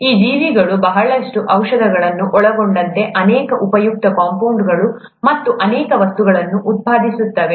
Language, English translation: Kannada, These organisms produce many useful compounds, many useful substances, including a lot of medicines